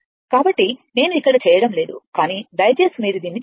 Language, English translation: Telugu, So, I am not doing it here, but please do it